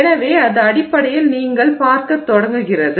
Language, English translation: Tamil, So, that is basically what you start seeing